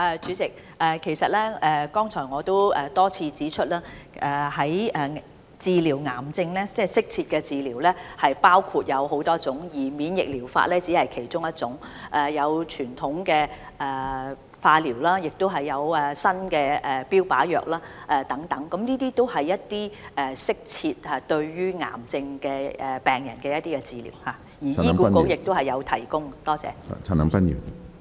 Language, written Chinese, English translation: Cantonese, 主席，其實我剛才已多次指出，適切治療癌症有很多種方法，而免疫療法只是其中一種，例如還有傳統化療、新的標靶藥物治療等，這些均為對癌症病人的適切治療，而醫管局亦有提供這些治療方法。, President in fact I already repeatedly pointed this out just now . There are many types of optimal treatment for cancers and immunotherapy is only one of them . For instance conventional chemotherapy and new targeted therapy among others are also optimal treatment options for cancer patients